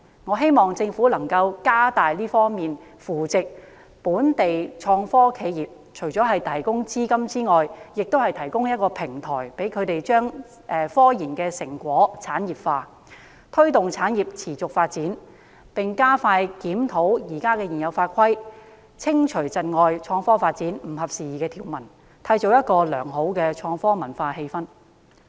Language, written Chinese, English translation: Cantonese, 我希望政府能加大力度扶植本地創科企業，除了提供資金之外，亦提供平台，讓它們把科研成果產業化，推動產業持續發展，並加快檢討現有法規，修訂或刪去窒礙創科發展、不合時宜的條文，以締造良好的創科文化氛圍。, I hope that the Government can step up efforts to support local IT enterprises . Apart from providing funds a platform should be established to enable these IT start - ups to commercialize their scientific research results with a view to fostering the sustainable development of the industry . The Government should also expedite its review of the existing regulations so as to amend or remove outdated provisions that impede the development of IT and to create a favourable IT environment